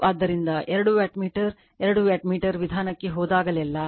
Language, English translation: Kannada, So, whenever whenever you go for your two wattmeter two wattmeter method right